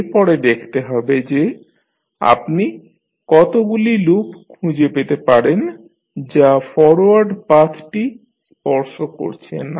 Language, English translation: Bengali, Next is that we have to see how many loops which you can find which are not touching the forward path